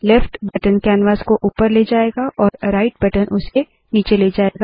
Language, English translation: Hindi, The left button moves the canvas up and the right button moves it down